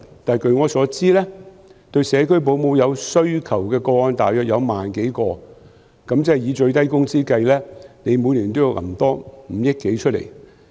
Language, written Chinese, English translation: Cantonese, 但據我所知，需要社區保姆的個案大約1萬多宗，以最低工資計算，每年要多撥款5億多元。, But as I understand there are over 10 000 cases requiring home - based child carers . Calculated on minimum wage an additional 500 - odd million needs to be allocated per year